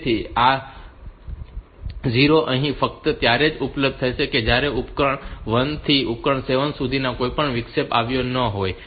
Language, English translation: Gujarati, So, this 0 will be available here only if none of the interrupts from device one to device 7 has occurred